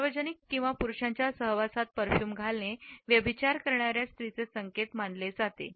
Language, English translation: Marathi, To wear perfumes in public or in the company of men is considered to be an indication of adulteress models